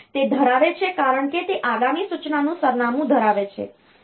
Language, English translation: Gujarati, So, it holds because it holds the address of the next instruction